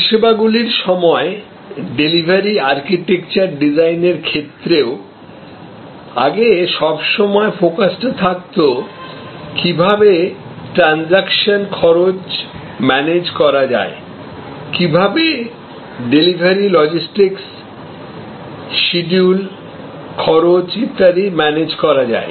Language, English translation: Bengali, In some ways in services also therefore, in designing the delivery architecture, the focuses always been on earlier, is always been on managing the transaction cost and managing the logistics of delivery, schedule, cost and so on